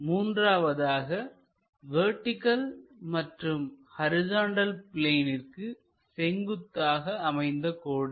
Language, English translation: Tamil, The first one; a vertical line perpendicular to both horizontal plane and vertical plane